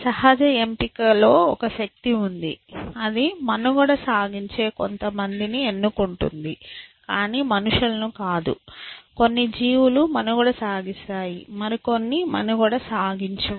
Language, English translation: Telugu, Listen that there is a force with natural selection which says that it will select some people who will survive and will not people some creature will survive and some which will survive essentially